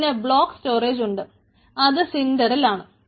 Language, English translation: Malayalam, there are block storage, which is cinder